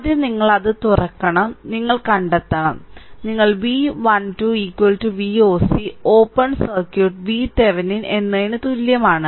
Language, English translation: Malayalam, So, first is you have to open it and you have to find out, what you call V 1 2is equal to V oc open circuit is equal to V Thevenin same thing right